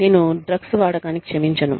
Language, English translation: Telugu, And, i am not condoning, the use of drugs